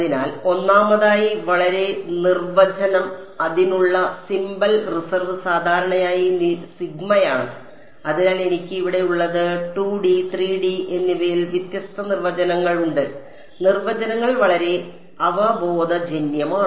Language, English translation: Malayalam, So, first of all the very definition; the symbol reserve for it is usually sigma and so, what I have over here there are different definitions in 2 D and 3 D and the definitions are very intuitive